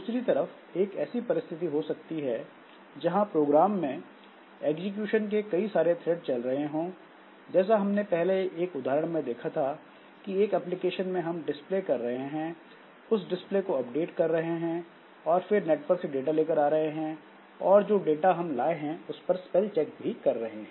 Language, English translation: Hindi, On the other hand, there may be a situation where if there are multiple threads of execution in the program, like previously we have seen an example where maybe in one application we are displaying, we are doing some display, updating some display, we are doing something to fetch data over a network and we are doing a spell check on the data that is fetched